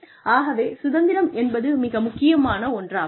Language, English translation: Tamil, And, that freedom is so important